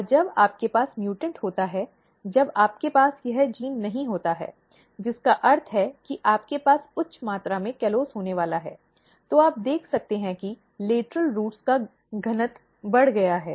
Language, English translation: Hindi, And when you have mutant, when you do not have this genes, which means that you have we are going to have high amount of callose, then you can see that the density of lateral roots are increased